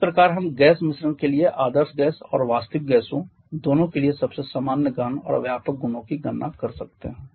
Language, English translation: Hindi, So this way we can calculate most of the common intensive and extensive properties for a gas mixture for both ideal gas and real gases